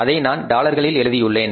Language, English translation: Tamil, I am taking that in dollars